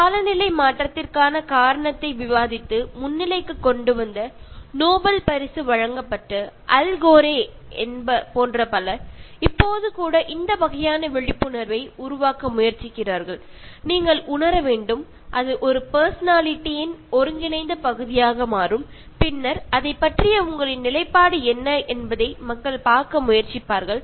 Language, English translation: Tamil, So many people particularly, somebody like Al Gore, who was given the Nobel Prize, because he advocated the cause for climate change, he brought it to the foreground, and then he is even now trying to create this kind of awareness and you should realize that, that becomes an integral part of a personality and then people will try to see what is your position